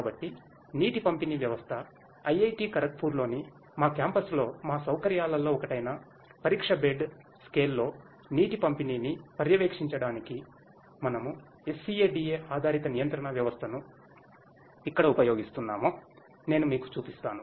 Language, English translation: Telugu, So, water distribution system, I will show you where we are using SCADA based control system for monitoring the water distribution in test bed scale in one of our facilities in our campus at IIT Kharagpur